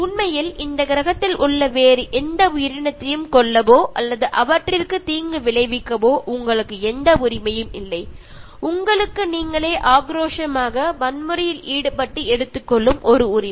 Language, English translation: Tamil, And in fact, you have no right to kill or harm any other living organism on this planet you have no right and it is a right that you are aggressively, violently, taking it for yourself